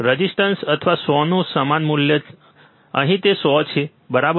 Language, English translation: Gujarati, Same value of resistors or 100, here it is 100 k, right